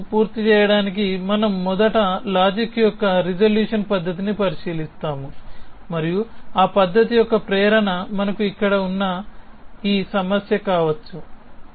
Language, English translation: Telugu, Just to complete the course may be we will look at the resolution method in first set of logic and the motivation for that method can be this problem that we have here